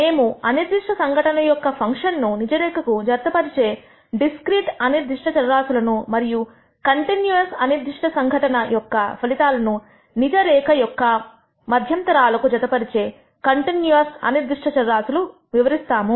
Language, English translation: Telugu, We will describe discrete random variables that maps functions of discrete phenom ena to the real line and continuous random variable which maps outcomes of a continuous random phenomena to intervals in the real life